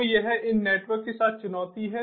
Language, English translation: Hindi, so so this is the challenge with these networks